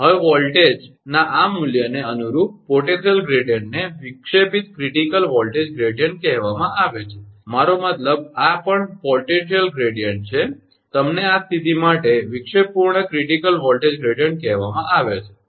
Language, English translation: Gujarati, Now, the potential gradient corresponding to this value of the voltage is called disruptive critical voltage gradient, I mean for this whatever potential gradient, you will get for this condition is called the disruptive critical voltage gradient, right